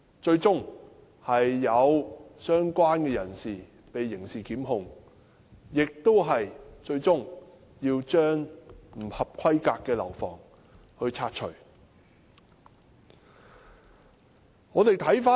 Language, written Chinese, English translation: Cantonese, 最終相關人士被刑事檢控，最後更要將不合規格的樓房拆除。, The persons concerned were criminally prosecuted and the substandard building was demolished